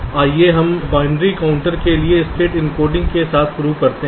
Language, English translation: Hindi, so let us start with state encoding for binary counters